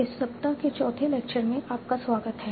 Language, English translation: Hindi, Welcome back for the fourth lecture of this week